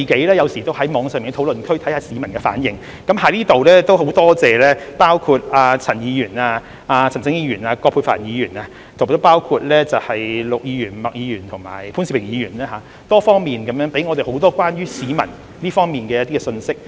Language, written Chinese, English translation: Cantonese, 我有時候也會在網上的討論區觀察市民的反應，在此很感謝陳議員、陳振英議員、葛珮帆議員、陸議員、麥議員及潘兆平議員給予我們多方面關於市民的信息。, I sometimes obtain peoples feedback on online discussion forums . Let me express my gratitude to Mr CHAN Mr CHAN Chun - ying Ms Elizabeth QUAT Mr LUK Ms MAK and Mr POON Siu - ping for providing us with information about the public in many areas